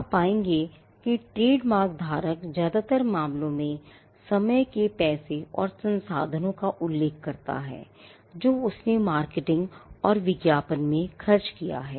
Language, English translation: Hindi, You will find that the trademark holder will, in most cases mention the amount of time money and resources, the trademark holder has spent in marketing and advertising